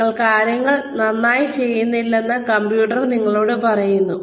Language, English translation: Malayalam, The computer tells you that you are not doing things, right